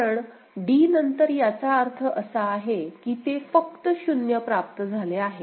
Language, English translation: Marathi, Because, after d that means, it is c it is before that it has received only 0